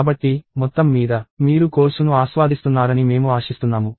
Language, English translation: Telugu, So, overall, I hope that, you are enjoying the course